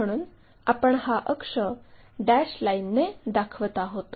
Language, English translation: Marathi, And, the axis we usually show by dash dot lines